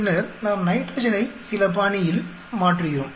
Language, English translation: Tamil, And then, we are changing nitrogen in certain fashion